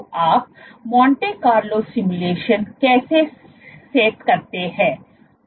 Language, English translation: Hindi, So, how do you set up a Monte Carlo simulation